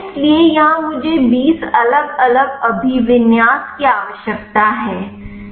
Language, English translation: Hindi, So, here I need twenty different orientation